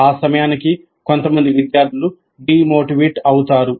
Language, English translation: Telugu, By that time some of the students do get demotivated